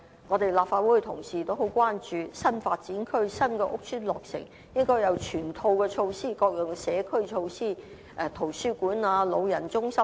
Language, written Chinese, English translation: Cantonese, 我們立法會同事也很關注新發展區內新落成的屋邨，認為應該設有全套社區設施，例如圖書館、長者中心等。, We Legislative Council Members are also very concerned about the newly completed estates in new development sites and consider that they should be equipped with a whole set of community facilities such as libraries elderly centres and so on